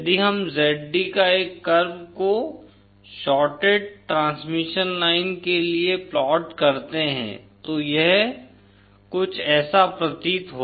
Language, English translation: Hindi, If we plot a curve the value of Zd for the shorted transmission line, it appears to be something like this